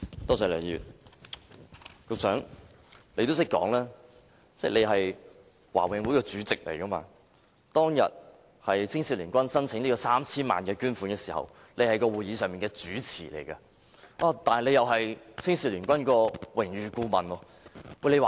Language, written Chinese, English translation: Cantonese, 局長，你提到你是華永會主席，而當天青總提出 3,000 萬元的捐款申請時，你亦正在主持會議，同時身兼青總榮譽顧問。, Secretary you have mentioned that you are the Chairman of the Board and that when HKACAs donation application of 30 million was considered you were the Chairman of the meeting and an Honorary Adviser to HKACA